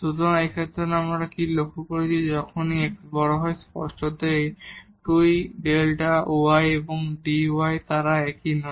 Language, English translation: Bengali, So, in this case what we have observe when delta x is large; obviously, these 2 the delta y and dy they are not the same